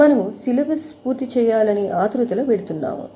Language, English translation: Telugu, Of course, we are going in a hurry